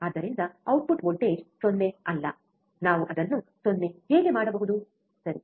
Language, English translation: Kannada, So, is the output voltage is not 0, how we can make it 0, right